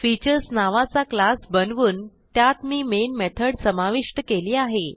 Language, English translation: Marathi, I have created a class named Features and added the main method